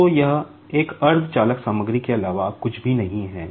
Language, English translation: Hindi, So, this is nothing but a semi conductor material